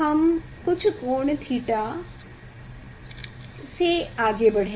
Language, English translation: Hindi, we will move; we will move with some angle theta